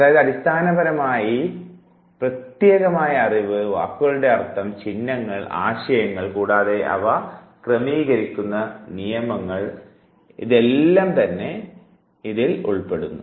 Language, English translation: Malayalam, So, it is basically the retention of the abstract knowledge meaning of the words symbols ideas and rules that govern there